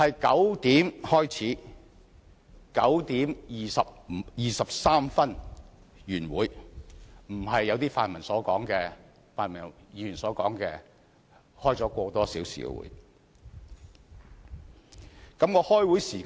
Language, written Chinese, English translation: Cantonese, 9時開始 ，9 時23分便已結束會議，並非如同部分泛民議員所說，舉行了1個多小時的會議。, It started at 9col00 and ended at 9col23 . It was therefore wrong for some pan - democratic Members to say that the meeting lasted for over an hour